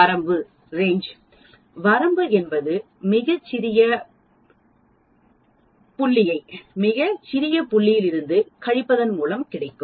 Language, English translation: Tamil, Range, range is nothing but the largest point minus the smallest point